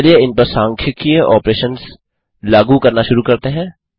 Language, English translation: Hindi, Lets start applying statistical operations on these